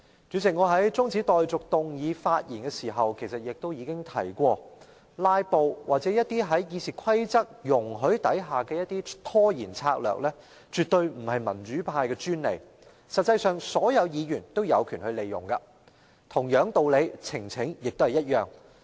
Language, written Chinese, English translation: Cantonese, 主席，我在動議中止待續議案發言時已提過，"拉布"或在《議事規則》下容許的一些拖延策略絕非民主派的專利，實際上，所有議員也有權利使用，呈請亦然。, President in my speech moving the motion of adjournment I already mentioned that filibusters or some delaying tactics permitted under RoP are by no means the monopoly of the pro - democracy camp in fact all Members have the right to use them and the same is true of petitions